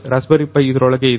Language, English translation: Kannada, So, raspberry pi is inside this one